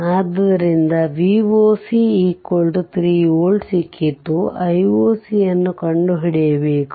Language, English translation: Kannada, So, V o c we got 3 volt; I explained everything